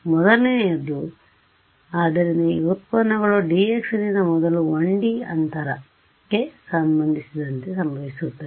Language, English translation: Kannada, So, the first so the derivatives now will happen with respect to space first 1D by dx